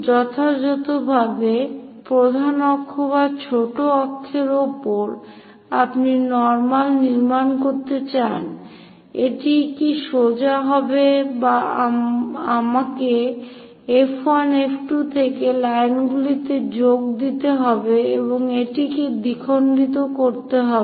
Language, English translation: Bengali, Precisely on major axis or minor axis, you would like to construct normal, will that be straightforwardly this one or do I have to join the lines from F 1 F 2 and bisect it